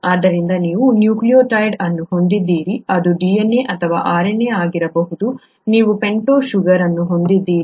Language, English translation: Kannada, So you have a nucleotide which could be a DNA or a RNA, you have a pentose sugar